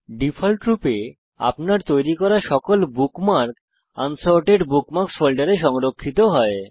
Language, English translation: Bengali, By default all the bookmarks that you created are saved in the Unsorted Bookmarks folder